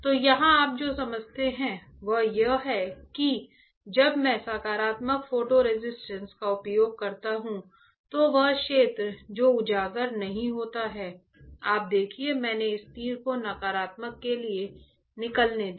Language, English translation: Hindi, So, here what you understand is that when I use positive photo resist when I use positive photo resist, then the area which is not exposed; you see I let me just remove this arrow for the negative